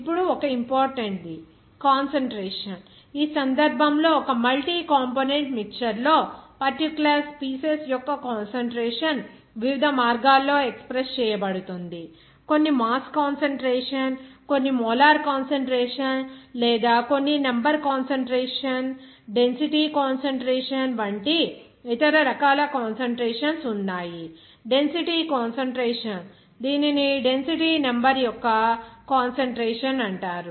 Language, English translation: Telugu, Like one is important that concentration, in this case, the concentration of a particular species in a multi component mixture that can be expressed in different ways, like some are mass concentration, some are molar concentration or some are other types of concentration like number concentration, density concentration, this is called density number of concentration